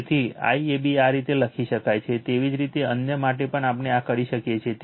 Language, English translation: Gujarati, So, that is why IAB you can write like this, similarly for the other otherwise also we can do this